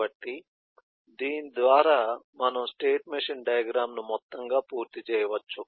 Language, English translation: Telugu, so by this we can conclude the state machine diagram as on whole